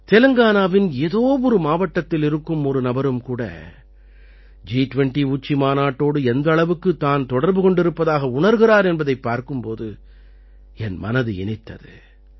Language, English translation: Tamil, I was very happy to see how connected even a person sitting in a district of Telangana could feel with a summit like G20